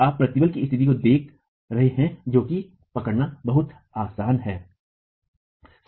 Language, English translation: Hindi, So, you are not looking at a state of stress that is very easy to capture